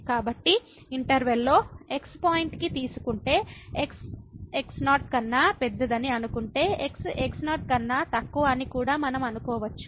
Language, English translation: Telugu, So, in this case if it take to point in the interval and suppose that is bigger than we can also assume that is less than